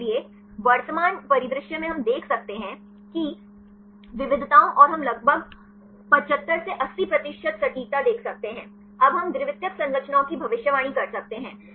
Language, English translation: Hindi, So, at the present scenario we can see the variations of the performance and we could see about 75 to 80 percent accuracy; now we can predict the secondary structures